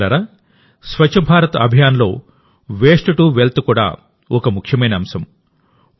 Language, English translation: Telugu, Friends, 'Waste to Wealth' is also an important dimension of the Swachh Bharat Abhiyan